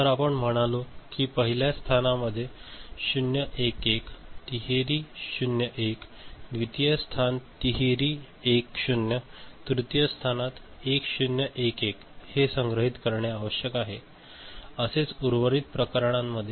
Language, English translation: Marathi, So, say you have said I want in the first location 0 1 1 1, 0 triple 1, second location 1 triple 0, third location 1 0 1 1 these need to be stored, this is the way the rest of the cases ok